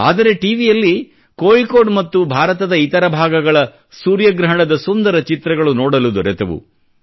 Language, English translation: Kannada, Though, I did get to see beautiful pictures of the solar eclipse that was visible in Kozhikode and some other parts of India